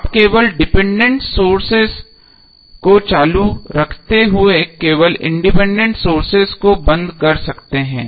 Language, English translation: Hindi, So you will only switch off independent sources while keeping dependent sources on